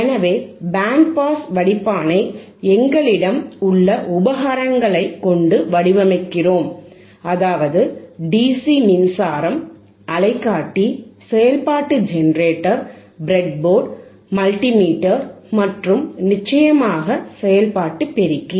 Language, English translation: Tamil, So, before we design the band pass filter with the system that we have with the equipment that we have here, which is our dcDC power supply, we have our oscilloscope, function generator, breadboard, multimeter and of course, the operational amplifier